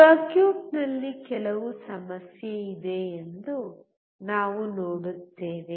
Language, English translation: Kannada, We see that there is some problem with the circuit